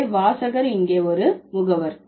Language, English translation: Tamil, So, the reader is an agent here